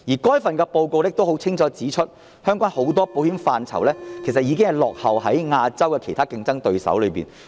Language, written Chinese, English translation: Cantonese, 該份報告亦清楚指出，香港很多保險範疇，已經落後於亞洲其他競爭對手。, The Report clearly pointed out that Hong Kong lagged behind its competitors in many areas of insurance business